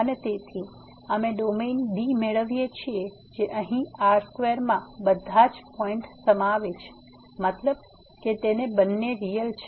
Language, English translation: Gujarati, And therefore, we get the domain D which is all contains all the points here in means both are the real